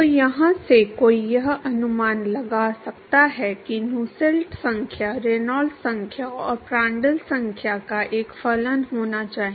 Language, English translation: Hindi, So, from here one could guess that the Nusselt number should be a function of Reynolds number and Prandtl number